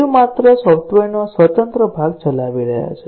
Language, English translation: Gujarati, They are only executing the independent part of the software